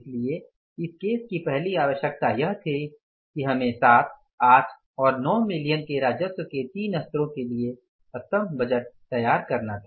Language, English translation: Hindi, So, the first requirement of this case was that we had to prepare the columnar budget for the three levels of the 7, 8 and the 9 billion worth of the revenues